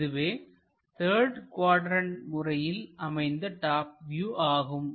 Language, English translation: Tamil, This is the top view in third quadrant projection